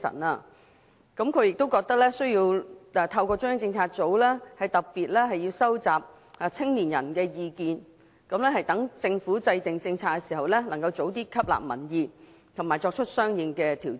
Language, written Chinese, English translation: Cantonese, 她亦認為需要透過中央政策組特別收集青年人的意見，讓政府在制訂政策時能及早吸納民意，並作出相應的調整。, She also sees a need to especially collect the views of young people through CPU so that the Government can take public opinions into consideration at an earlier stage when formulating policies and make adjustments accordingly